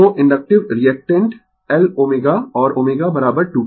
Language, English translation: Hindi, So, inductive reactant L omega and omega is equal to 2 pi f